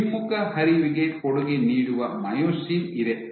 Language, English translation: Kannada, You have myosin which contributes to retrograde flow